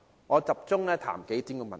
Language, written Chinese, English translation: Cantonese, 我集中談談數點問題。, I will focus on a few issues